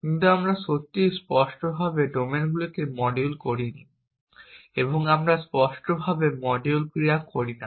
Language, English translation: Bengali, We talked about moving blocks around, but we did not really explicitly module domains and we do not explicitly module actions